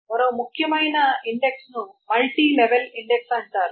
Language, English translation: Telugu, Then one more important way is called the multi level index